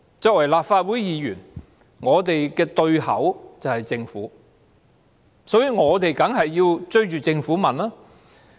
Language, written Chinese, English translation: Cantonese, 作為立法會議員，我們的對口便是政府，因此，我們當然是要追着政府詢問。, Since the Government is the corresponding party of Members it is only natural that we will bludgeon the Government with questions